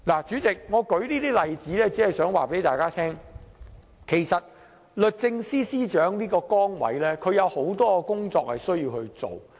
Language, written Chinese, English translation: Cantonese, 主席，我列舉這些例子，只是想告訴大家，律政司司長的崗位有很多工作需要處理。, President I cited these examples to tell everyone that many matters are waiting to be dealt with by the Secretary for Justice